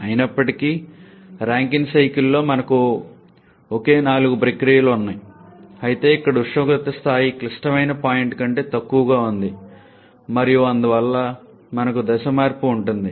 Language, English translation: Telugu, However, for a Rankine cycle though we have the same four processes but here the temperature level is below the critical point and therefore we have the phase change involved